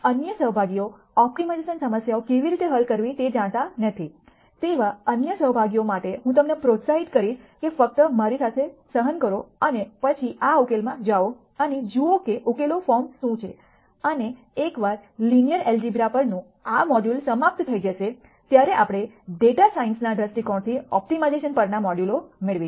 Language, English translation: Gujarati, For other participants who do not know how to solve optimization problems, I would encourage you to just bear with me and then go through this solution and see what the solution form is and once this module on linear algebra is finished we will have a couple of modules on optimization from the viewpoint of data science